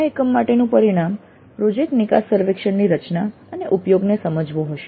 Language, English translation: Gujarati, So the outcome for this unit would be understand the design and use of project exit surveys